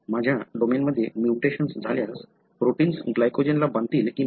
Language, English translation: Marathi, If I have a mutation in this domain, would the protein bind to glycogen or not